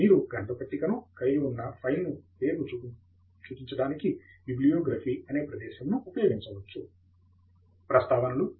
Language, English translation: Telugu, You can use the command bibliography to point the file name containing the bibliographic references